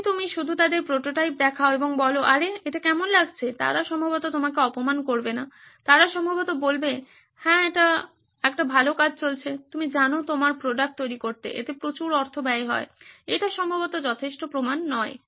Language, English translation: Bengali, If you just show them the prototype and say hey hey how does this look, they are probably not to offend you, they probably say yeah this is a good job go on, you know make your product, spend a lot of money on that, that is probably not proof enough